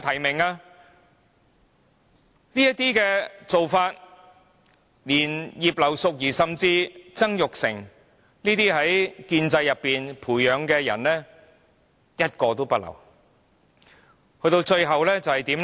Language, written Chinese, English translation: Cantonese, 這做法令葉劉淑儀議員甚至曾鈺成等由建制培養的人士皆無法"入閘"。, This arrangement would even deny the access of those people who are cultivated by the pro - establishment camp such as Mrs Regina IP or Jasper TSANG